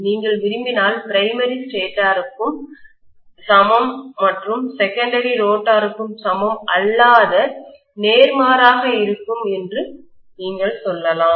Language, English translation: Tamil, The primary is equivalent to the stator you can say if you want to and the secondary is equivalent to the rotor or vice versa